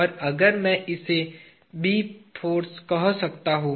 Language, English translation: Hindi, And, if I can call this as say B force